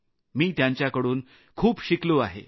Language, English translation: Marathi, I have learnt a lot from them